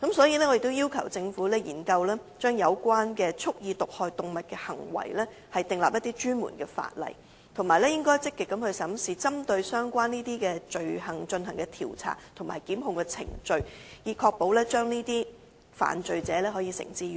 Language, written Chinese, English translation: Cantonese, 因此，我已要求政府研究就蓄意毒害動物的行為制定專門的法例，以及積極審視針對相關罪行而進行的調查和檢控程序，以確保能夠將這些犯罪者繩之以法。, I have therefore requested the Government to conduct a study to explore the enactment of dedicated legislation on deliberate acts of animal poisoning and actively examine the investigation and prosecution procedures on related offences so as to ensure that offenders are brought to justice